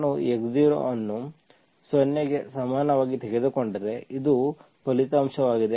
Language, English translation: Kannada, If I take x0 is equal to 0, this is what is the result